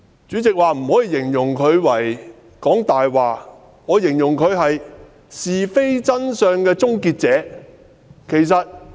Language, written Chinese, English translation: Cantonese, 主席說不可形容她是"講大話"，那我形容她為是非真相的終結者。, As the President has ruled that Members are not allowed to describe her as lying I will say that she is the terminator of right and wrong and the truth